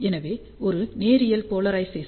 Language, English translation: Tamil, So, hence there is a linear polarization